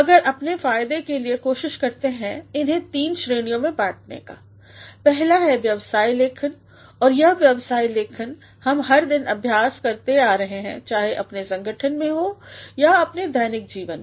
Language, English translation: Hindi, But let us for our benefit try to categorize them into three types; first is business writing and this business writing we have been practicing every day whether in our organizations or in our day to day lives